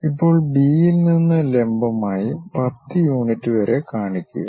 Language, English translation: Malayalam, Now, from B drop a perpendicular, up to a unit of 10